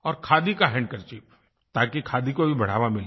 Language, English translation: Hindi, And that too, a 'Khadi' handkerchief, so that it promotes 'Khadi'